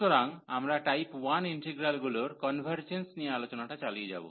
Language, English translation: Bengali, So, we will continue on the discussion on the convergence of type 1 integrals